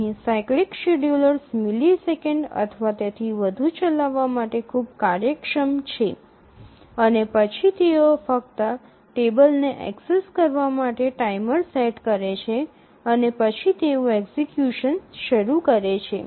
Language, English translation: Gujarati, So, here the cyclic schedulers are very efficient run in just a millisecond or so and then they just set the timer, access the table and then they start the education